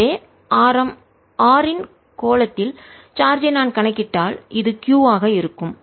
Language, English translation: Tamil, so if i calculate the charge in a sphere of radius r, this is going to be q, let's call it q